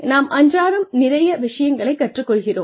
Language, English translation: Tamil, We learn a lot of things along the way